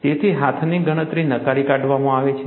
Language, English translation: Gujarati, So, hand calculation is ruled out